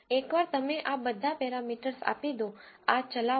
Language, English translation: Gujarati, Once you give all these parameters, execute this